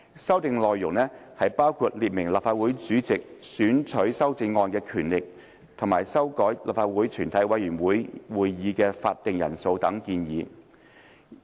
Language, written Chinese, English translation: Cantonese, 修訂內容包括列明立法會主席選取修正案的權力，以及修改立法會全體委員會的會議法定人數等建議。, The proposed amendments among other things sought to specify the power of the President to select amendments and revise the quorum for a committee of the whole Council